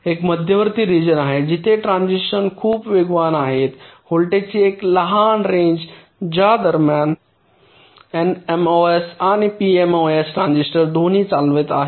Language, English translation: Marathi, there is an intermediate region where the transitions is very fast, a short range of voltage during which both the n mos and p mos transistors may be conducting